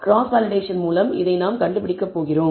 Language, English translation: Tamil, So, this is what we are going to find out by cross validation